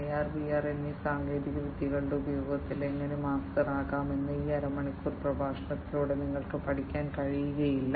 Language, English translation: Malayalam, You cannot learn through this half an hour lecture how to become a master of use of these technologies AR and VR